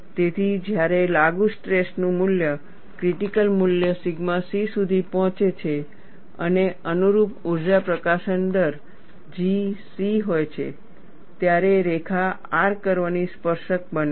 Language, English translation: Gujarati, So, when the value of the applied stress reaches the critical value sigma c, and the corresponding energy release rate is G c, the line becomes tangent to the R curve